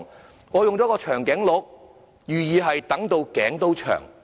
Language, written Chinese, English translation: Cantonese, 這裏我選了長頸鹿圖案，含意是"等到頸都長"。, Here I have chosen the picture of a giraffe to mean a long wait